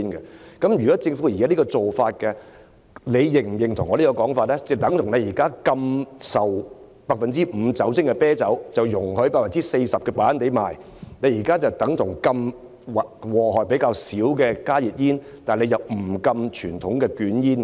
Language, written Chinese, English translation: Cantonese, 這等於政府現時禁止向18歲以下人士出售 5% 酒精含量的啤酒，卻容許售賣 40% 酒精含量的白蘭地，這等於禁止危害較少的加熱煙，但並不禁止傳統的捲煙。, Banning the sale of the less hazardous HNB cigarettes but not conventional cigarettes is comparable to a situation where the Government bans the sale of beer with an alcohol content of 5 % to persons aged below 18 but allows the sale of brandy with an alcohol content of 40 %